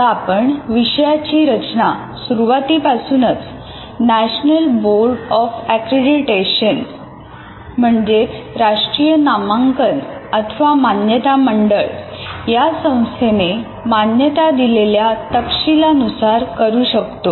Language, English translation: Marathi, So you now you are able to design a course right from the beginning with the requirements specified by National Board of Accreditation